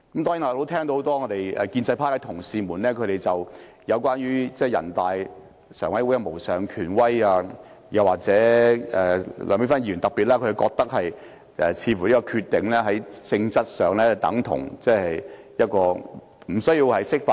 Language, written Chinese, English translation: Cantonese, 當然，我聽到很多建制派同事在發言中提及全國人民代表大會常務委員會的無上權威，特別是梁美芬議員認為人大常委會的決定在性質上已達法律效果，無需釋法。, Of course I have heard many Honourable colleagues from the pro - establishment camp mention in their speeches the supreme authority of the Standing Committee of the National Peoples Congress NPCSC; in particular Dr Priscilla LEUNG who considers that the decision by NPCSC essentially carries legislative effect and there is no need for an interpretation of the Basic Law